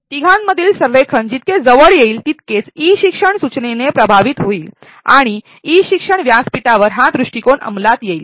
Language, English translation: Marathi, The closer as the alignment between the three, the more instructionally effective is e learning that how implement this approach on e learning platform